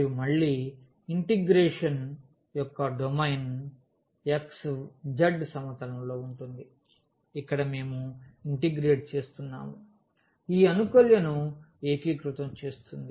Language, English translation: Telugu, And, again the domain of the integration will be in the xz plane where we are integrating the will be integrating this integrand